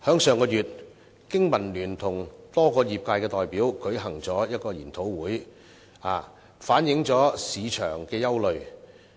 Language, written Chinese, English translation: Cantonese, 上月，香港經濟民生聯盟與多個業界代表舉行了研討會，反映市場憂慮。, Last month the Business and Professionals Alliance for Hong Kong held a seminar with trade representatives with the aim of reflecting concerns in the market